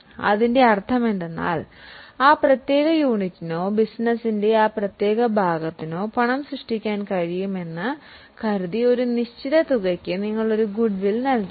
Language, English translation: Malayalam, So, what it means is you have paid for a certain amount as a goodwill, assuming that that particular unit or that particular part of the business would be able to generate cash